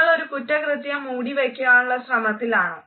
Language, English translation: Malayalam, Are you trying to cover up a crime